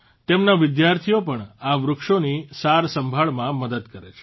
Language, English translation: Gujarati, His students also help him in their maintenance